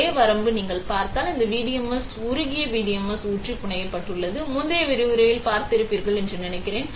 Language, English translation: Tamil, Only limitation, if you look at it is, this PDMS is fabricated by pouring molten PDMS; I think you would have seen in the previous lecture